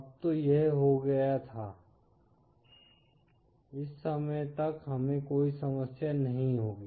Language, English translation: Hindi, Now had it been till this point only we would not have any problem